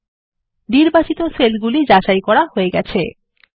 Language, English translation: Bengali, The selected cells are validated